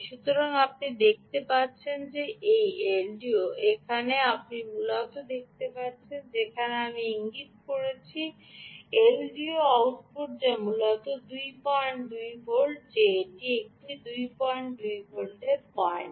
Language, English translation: Bengali, well, so you can see that this l d o here, that you see essentially where i am pointing to is the l d o output, which is essentially two point two volts